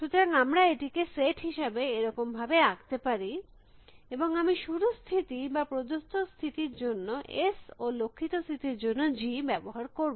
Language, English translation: Bengali, So, let us say we draw it as the set like this and I will use S for a start state or the given state and G for a goal state